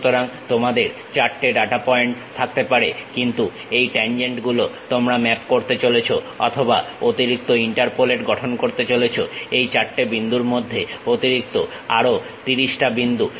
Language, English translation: Bengali, So, you might be having 4 data points, but these tangents you are going to map or construct extra interpolate, extra 30 more points in between these 4 points